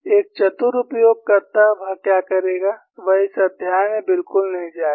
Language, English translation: Hindi, A clever user, what he will do is, he will not go into this chapter at all